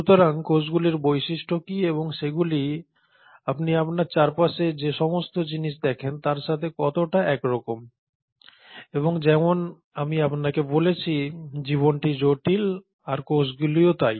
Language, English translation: Bengali, So what are the properties of cells and how are they similar to the things that you see around yourself and life, as I told you, life is complex but so are cells